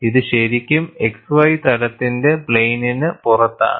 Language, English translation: Malayalam, It is really out of plane of the x y plane